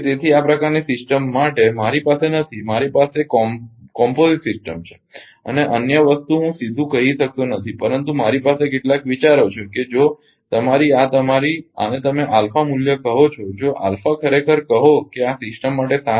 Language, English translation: Gujarati, So, not for this kind this system I I have I for composite system and other thing I cannot tell directly, but ah I have some ideas that if your if your this ah what you call this alpha value; if alpha actually greater than equal to 7